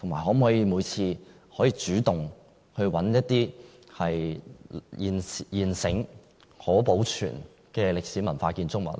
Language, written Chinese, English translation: Cantonese, 可否主動尋找一些現存並可保存的歷史文化建築物呢？, Could the Government take the initiative to identify existing historic and cultural buildings that are worth preservation?